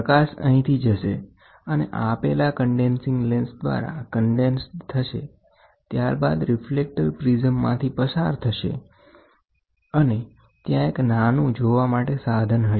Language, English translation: Gujarati, The light goes from here, the light gets condensed through this condensing lens, then it passes through a reflecting prism, then you have a small aperture viewing aperture is there